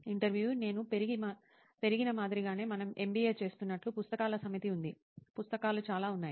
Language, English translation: Telugu, As I grew up, like in this, like as we do an MBA, there is set of books, there are lots of books